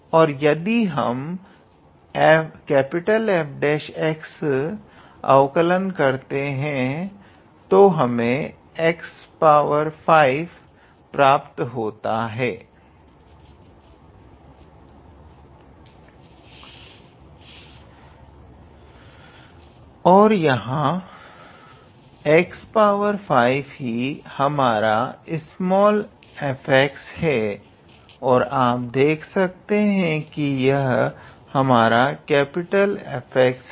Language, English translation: Hindi, And if I take the derivative of that capital F dash x, then we will obtain x to the power 5 and this x to the power five is our small f x here and you see this is our capital F x